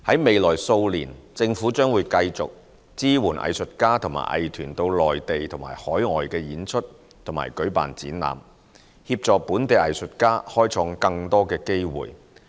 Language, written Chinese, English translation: Cantonese, 未來數年，政府將繼續支援藝術家和藝團到內地和海外演出及舉辦展覽，協助本地藝術家開創更多機會。, In the next few years the Government will continue to support local artists and arts groups to perform and stage exhibitions in the Mainland and overseas so as to create more opportunities for local artists